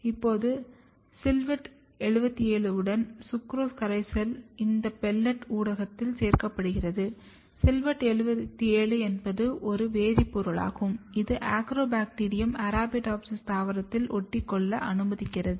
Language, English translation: Tamil, Now, this pelleted culture is then suspended in sucrose solution along with silvett 77, silvett 77 is a chemical which allows the Agrobacterium to stick to the Arabidopsis plant